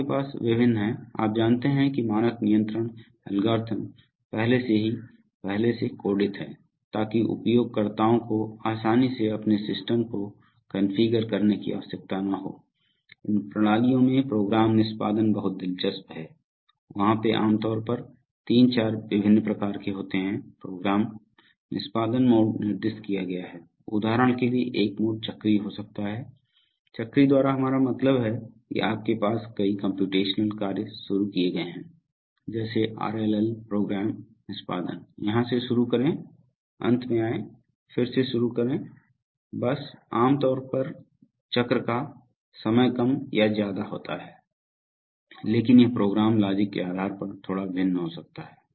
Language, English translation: Hindi, You have various, you know standard control algorithms already pre coded, so that the users do not have to can easily configure their systems, the program execution in these systems is very interesting, there are, there are generally 3,4 different types of program execution mode specified, for example a mode could be cyclic, by cyclic we mean that you have a number of computational tasks begin, just like RLL program execution, so begin here, come to the end, start all over again, so this just goes on, typically cycle time remains more or less constant but it could vary a little bit depending on the program logic